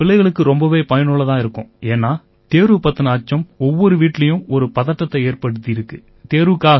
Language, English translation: Tamil, Sir, this is most useful for children, because, the fear of exams which has become a fobia in every home